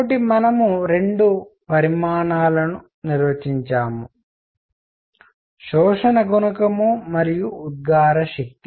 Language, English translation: Telugu, So, we have defined 2 quantities; absorption coefficient and emissive power